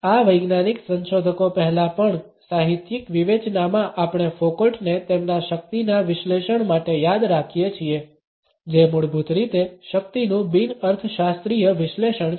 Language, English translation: Gujarati, In literary criticism even prior to these scientific researchers we remember Foucault for his analysis of power which is basically a non economist analysis of power